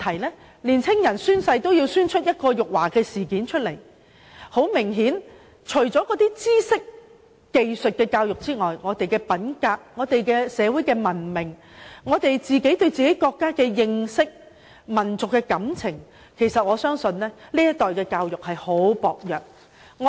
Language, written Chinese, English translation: Cantonese, 年青人宣誓也可鬧出辱華事件，顯然除了知識和技術的傳授之外，現時的教育制度對年青人的個人品格、社會文明、國家認識和民俗感情的培育，均是非常薄弱。, When young people can go so far as to humiliate their own country during oath - taking it only becomes obvious to us that apart from the imparting of knowledge and techniques the existing education system has done very little to develop the personal integrity of young people strengthen their national awareness and national sentiments and promote social civilization